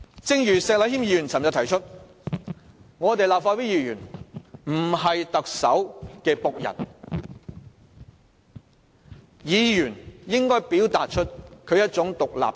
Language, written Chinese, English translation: Cantonese, 正如石禮謙議員昨天指出，立法會議員不是特首的僕人，議員應表達出獨立性。, As Mr Abraham SHEK pointed out yesterday Members of the Legislative Council are not servants of the Chief Executive and they should show their independence